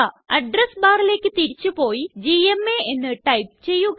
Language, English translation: Malayalam, Lets go back to the address bar and type gma